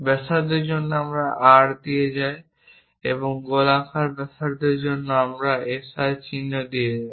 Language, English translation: Bengali, For radius we go with R and for spherical radius we go with SR symbols